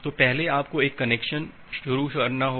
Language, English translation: Hindi, So, first you have to initiate a connection